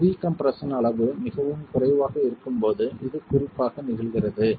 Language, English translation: Tamil, This is particularly the case when the level of pre compression is very low